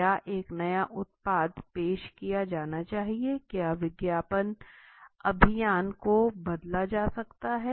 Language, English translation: Hindi, Should a new product be introduced, should the advertising campaign can be changed